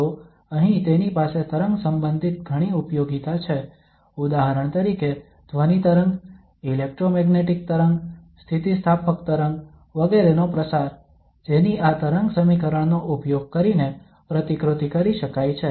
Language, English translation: Gujarati, So here it has many applications related to wave, for example propagation of sound wave, electromagnetic wave, elastic waves etcetera